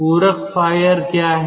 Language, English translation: Hindi, what is supplementary fired